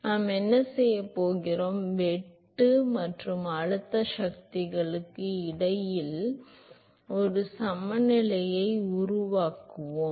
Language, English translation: Tamil, So, what we going to do is we going to make a balance between the shear and pressure forces